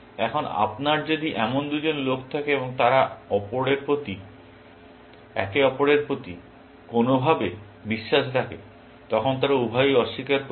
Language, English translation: Bengali, Now, if you have two such people, and they have trust in each other in some sense; then, they will both deny